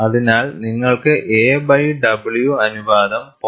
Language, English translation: Malayalam, So, you want to have a by w ratio is around 0